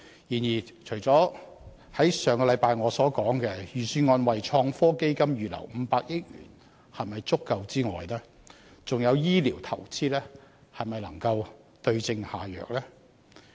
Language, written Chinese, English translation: Cantonese, 然而，除了我上周所提出，預算案為創新科技預留500億元是否足夠的問題外，醫療投資能否對症下藥？, Nevertheless besides the query I raised last week about the sufficiency of setting aside 50 billion in the Budget for innovation and technology I also query whether investment in health care can suit the remedy to the case?